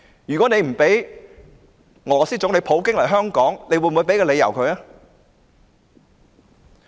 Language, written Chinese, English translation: Cantonese, 如他不准俄羅斯總理普京來港，又會否提供理由呢？, If he refuses Russian President PUTINs entry into Hong Kong will he give any reason?